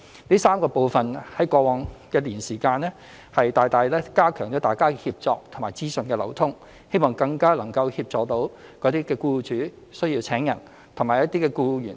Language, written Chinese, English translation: Cantonese, 這3個部分在過往一年大大加強了大家的協作和資訊流通，希望更能協助需要聘請員工的僱主及需要求職的僱員。, These three parties have significantly strengthened their collaboration and information exchange in the past year with the hope of better assisting employers who need to recruit staff and employees who are seeking a job